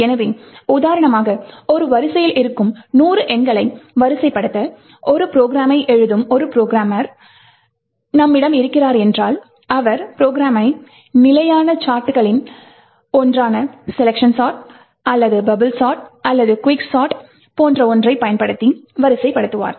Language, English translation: Tamil, So, let us for example, say that we have programmer who is writing a program to say sort hundred numbers present in an array, so he would use one of the standard sorts, like selection or bubble or quicksort and compile the program get an executable